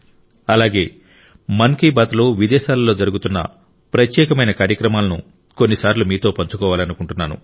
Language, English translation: Telugu, And I also like to sometimes share with you the unique programs that are going on abroad in 'Mann Ki Baat'